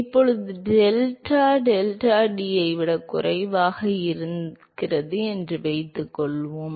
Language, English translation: Tamil, Now, suppose if delta is less than delta t